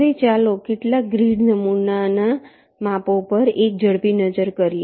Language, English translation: Gujarati, now lets take a quick look at some sample grid sizes